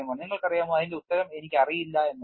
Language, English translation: Malayalam, You know the answer is I do not know